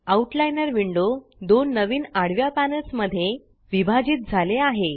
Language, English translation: Marathi, The Outliner window is now divided into two new panels